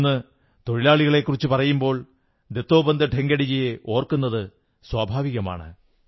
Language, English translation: Malayalam, Today when I refer to workers, it is but natural to remember Dattopant Thengdi